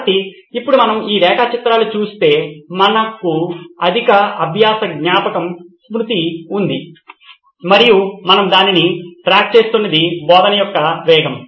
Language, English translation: Telugu, So now if we look at this plot we have a high learning retention and the pace of teaching is what we are tracking